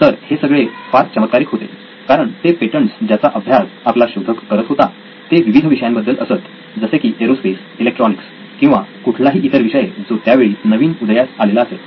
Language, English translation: Marathi, So this was crazy because the patents that he was looking at reading were from different domains aerospace and electronics or whatever was invoke at that time